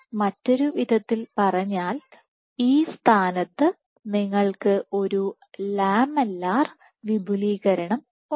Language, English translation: Malayalam, So, in other words at this site you have a lamellar expansion